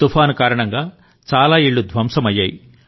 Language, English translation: Telugu, Many houses were razed by the storm